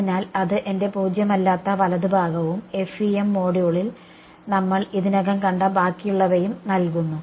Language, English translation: Malayalam, So, that gives me my non zero right hand side and rest of all we have already seen in the FEM module